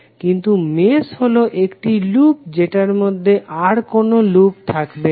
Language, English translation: Bengali, But mesh is a loop that does not contain any other loop within it